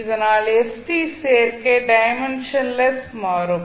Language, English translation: Tamil, So that the combination st can become dimensionless